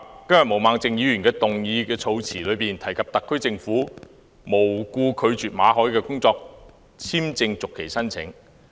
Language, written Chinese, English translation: Cantonese, 今天毛孟靜議員的議案措辭中提及特區政府"無故拒絕"馬凱的工作簽證續期申請。, The wording in Ms Claudia MOs motion claims that the SAR government rejected for no reason Victor MALLETs application for work visa renewal